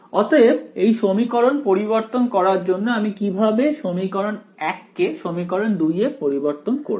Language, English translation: Bengali, So, to convert this equation what would I, what is the how do I convert our equation 1 into equation 2